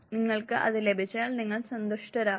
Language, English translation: Malayalam, Once you receive it your pleased